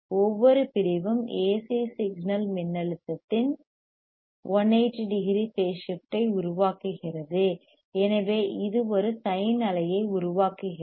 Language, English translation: Tamil, Each section produces a phase shift of 1800 degree of the AC signal voltage and hence it produces a sine wave